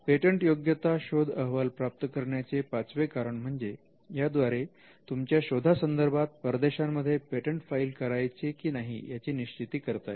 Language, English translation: Marathi, The fifth reason could be that the patentability search report can help you to be determine whether to file foreign applications